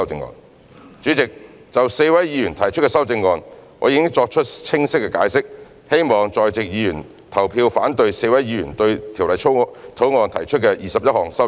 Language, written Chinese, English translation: Cantonese, 代理主席，就4位議員提出的修正案，我已作清晰的解釋，希望在席議員投票反對4位議員對《條例草案》提出的21項修正案。, Deputy Chairman regarding the amendments proposed by four Members I have already offered a clear explanation . I implore Members present to vote against the 21 amendments to the Bill proposed by four Members